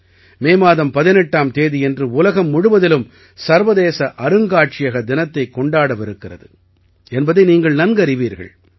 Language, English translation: Tamil, You must be aware that on the 18th of MayInternational Museum Day will be celebrated all over the world